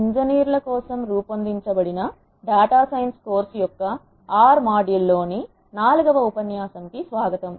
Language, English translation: Telugu, Welcome to the lecture 4 in the module r of the course data science for engineers